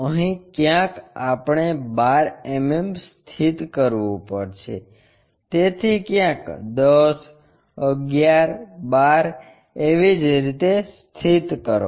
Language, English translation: Gujarati, Somewhere here we have to locate 12 mm so, 10, 11, 12 somewhere here